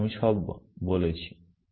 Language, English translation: Bengali, So, all I am saying